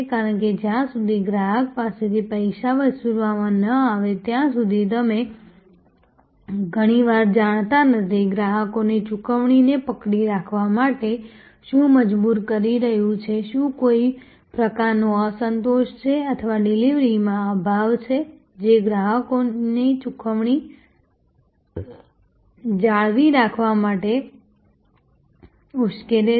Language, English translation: Gujarati, Because, unless the money is collected from the customer you would often not know, what is compelling the customer to hold on to the payment, whether there is some kind of dissatisfaction or lack in deliveries made, which is provoking the customer to retain payment